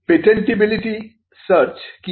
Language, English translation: Bengali, What is a patentability search